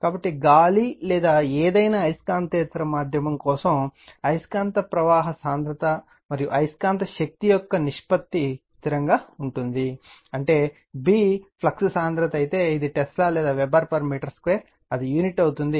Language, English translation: Telugu, So, for air or any non magnetic medium, the ratio of magnetic flux density to magnetizing force is a constant, that is if your B is the flux density, it is Tesla or Weber per meter square it is unit right